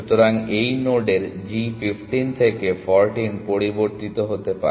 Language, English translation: Bengali, So, g of that node may change from 15 to 14